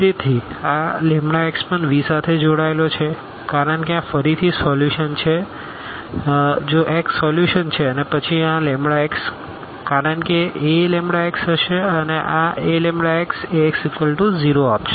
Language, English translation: Gujarati, So, this lambda x will also belong to V because this is again a solution if x x is a solution and then this lambda x because A lambda x will be lambda Ax and this Ax is will give 0